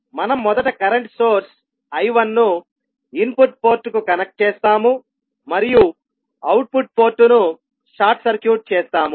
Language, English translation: Telugu, We will first connect the current source I1 to the input port and short circuit the output port